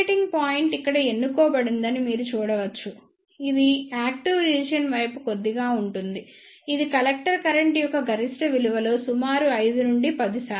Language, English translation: Telugu, Here you can see that the operating point is chosen here which is slightly towards the active region this is approximately 5 to 10 percent of the maximum value of the collector current